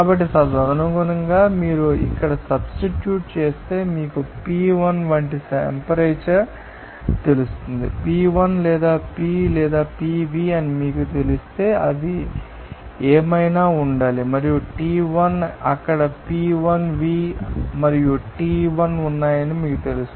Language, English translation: Telugu, So, accordingly, if you substitute here one you know temperature like P1 you know that P1 you know that or if you know that P or Pv they are then accordingly what should be that will be and you know that T1 there P1V and T1 there